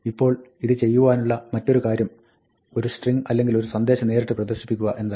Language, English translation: Malayalam, Now, the other thing that we can do is, directly print a string or a message